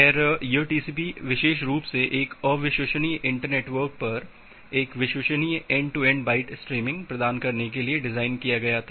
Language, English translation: Hindi, Well, so this TCP it was specifically design to provide a reliable end to end byte streaming over an unreliable inter network